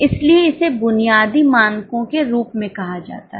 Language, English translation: Hindi, That is why it is called as a basic standards